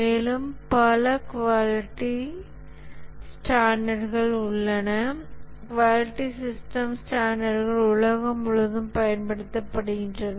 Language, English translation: Tamil, And there are several quality standards, quality system standards that are available used throughout the world